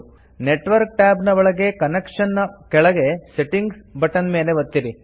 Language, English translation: Kannada, Within the Network tab, under Connections, click on the Settings button